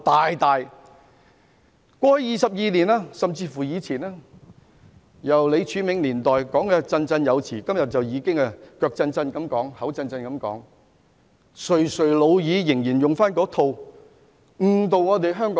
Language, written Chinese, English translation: Cantonese, 香港回歸已22年，他們在李柱銘年代便振振有詞，今天他們垂垂老矣，手震口震，卻繼續沿用那套說法誤導香港人。, Hong Kong has returned to the Motherland for 22 years . They preached so eloquently in the Martin LEE years and even if they are now old and feeble suffering from shaky hands and stammering they still make the same remarks that mislead Hong Kong people